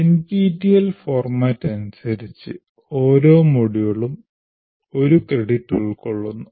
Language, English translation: Malayalam, And now, as per the NPTEL format, each module constitutes one credit